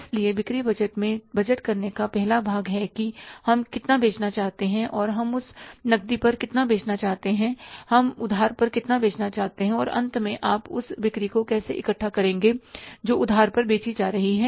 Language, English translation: Hindi, So, sales budget has the first part of the budgeting, that is how much we want to sell and how much we want to sell on cash, how much we want to sell on credit, and finally, how you are going to collect those sales which are sold on credit